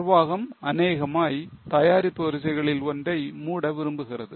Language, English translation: Tamil, So, management perhaps want to close one of the product lines